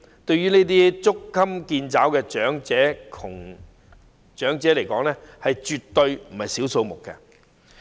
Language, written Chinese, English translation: Cantonese, 對於捉襟見肘的長者而言，這絕非小數目。, To elderly people living in straitened circumstances this is absolutely not a small amount